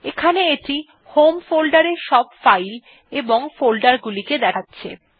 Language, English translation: Bengali, So here it is displaying files and folders from home folder